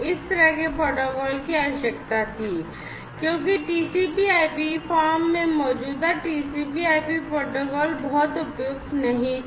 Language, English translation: Hindi, So, this kind of protocol was required, because the existing TCP IP protocol in its in the TCP IP form was not very suitable